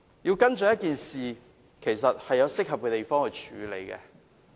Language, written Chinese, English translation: Cantonese, 想跟進一件事項，也要循適合的途徑。, If they wish to follow up the matter they should do so through appropriate channels